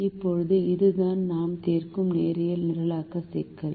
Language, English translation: Tamil, now, this is the linear programming problem that we are solving